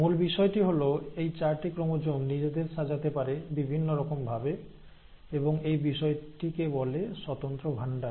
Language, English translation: Bengali, The point is, these four chromosomes can arrange themselves in permutations and that itself is called as independent assortment